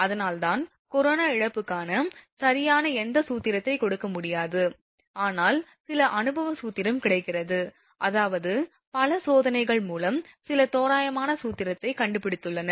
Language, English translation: Tamil, So, that is why there is no you know you cannot give any formula for exact formula for corona loss, but some empirical formula is available, I mean through the experimental test people have found some approximate formula